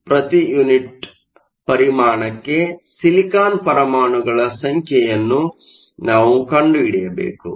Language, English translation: Kannada, We need to find out the number of silicon atoms per unit volume